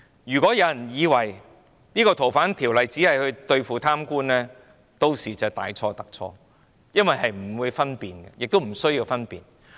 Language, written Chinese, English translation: Cantonese, 如果有人以為修訂《逃犯條例》只是為對付貪官，便大錯特錯，因為屆時是不會分辨，亦不需要分辨。, If people think that the amendment to the Ordinance seeks to deal with corrupt officials they are totally wrong because at that time there will be no differentiation while differentiation is also unnecessary